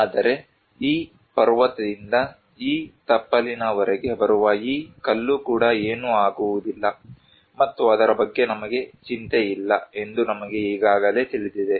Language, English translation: Kannada, But we already know that even this stone coming from this mountain to these foothills, nothing will happen and we are not worried about it